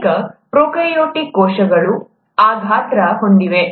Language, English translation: Kannada, Many prokaryotic cells are of that size typically speaking